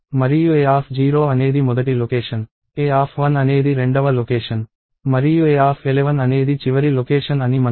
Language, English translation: Telugu, And we know that a of 0 is the very first location, a of 1 is the second location and so, on and a of 11 would be the last location